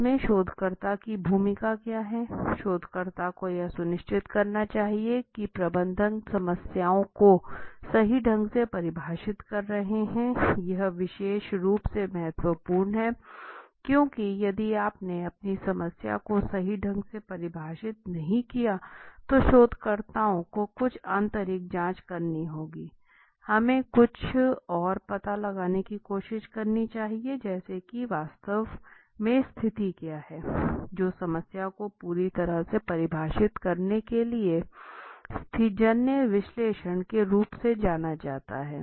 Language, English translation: Hindi, What is the role of the researcher so if you see so the researcher should ensure managers are defining the problems correctly right so the this is particularly important because if you are not defining your problem correctly right, then the researchers should take some additional investigation like Sherlock homes, we should try to find out some other like how to, what is exactly the situation right, which is known as situational analysis to ensure that the problem is perfectly defined